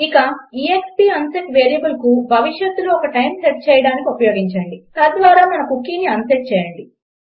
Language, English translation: Telugu, And use exp unset variable to set it to a time in the future, thereby unsetting our cookie